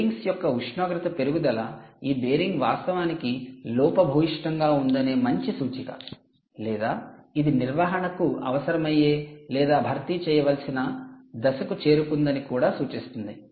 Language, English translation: Telugu, so if the temperature of the bearing increases is a good indicator that this bearing is indeed faulty or its coming to a stage where it requires maintenance or replacement